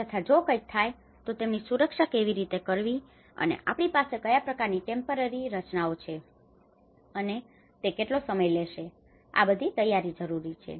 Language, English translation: Gujarati, So, if something happens, how to safeguard them and what kind of temporary structures we have erect and what time it takes, this is all preparation